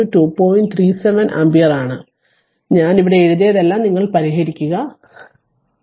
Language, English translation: Malayalam, 37 ampere, you please solve it everything I have written here for you, but you please solve it